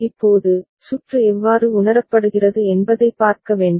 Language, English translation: Tamil, Now, we need to see how the circuit is realized